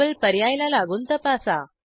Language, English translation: Marathi, Check against double option